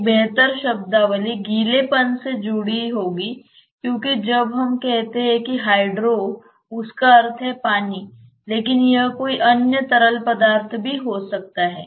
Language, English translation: Hindi, A better terminology would be wetting because when we say hydro it means water so to say, but it may be any other fluid also